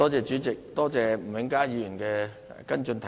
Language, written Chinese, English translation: Cantonese, 主席，多謝吳永嘉議員的補充質詢。, President I thank Mr Jimmy NG for his supplementary question